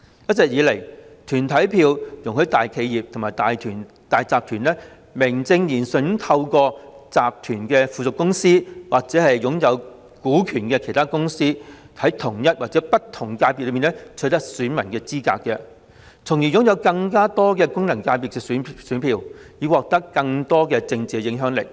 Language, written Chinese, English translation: Cantonese, 一直以來，團體票容許大企業和大集團名正言順地透過附屬公司或其擁有股權的其他公司，在同一或不同功能界別取得選民資格，從而擁有更多功能界別的選票，以獲得更大政治影響力。, All along under the system of corporate votes large enterprises and syndicates can through subsidiary companies or by holding shares in other companies acquire in a justifiable way the eligibility of electors in an FC or different FCs thereby holding more votes and exerting greater political influence